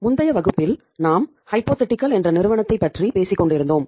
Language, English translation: Tamil, So in the previous class we were talking about the uh a company Hypothetical Limited